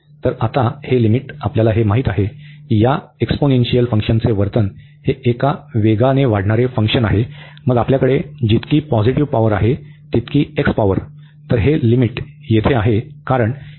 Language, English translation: Marathi, So, now this limit we know already the behavior of these exponential function is this is a is a fast growing function, then x x power whatever positive power we have there